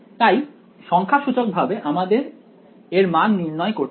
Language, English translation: Bengali, So, I need to evaluate these numerically